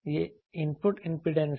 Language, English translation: Hindi, This is it is input impedance